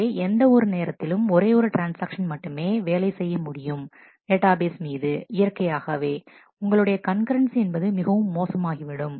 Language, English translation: Tamil, So, at any point of time only one transaction can operate on the database naturally your concurrency will be very poor